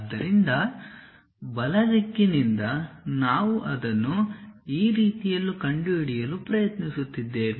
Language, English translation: Kannada, So, from rightward direction we are trying to locate it in this way